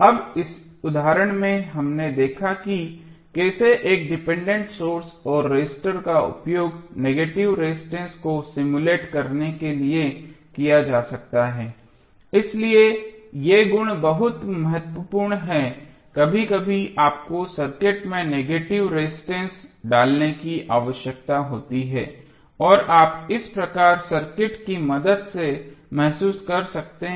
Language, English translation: Hindi, Now, in this example we have seen how a dependent source and register could be used to simulate the negative resistance so these property is very important sometimes you need to insert negative resistance in the circuit and you can realize with the help if this type of circuits